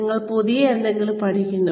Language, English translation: Malayalam, You learn something new